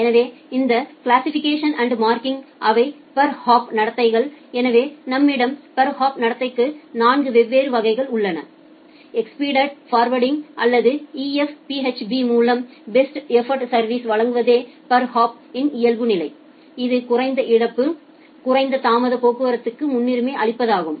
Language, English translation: Tamil, So, this classification and marking, they are the per hop behaviours; so, we have four different type of per hop behaviours, the default per hop is to provide best effort service by expedited forwarding or EF PHB to which is to give priority to the low loss low latency traffic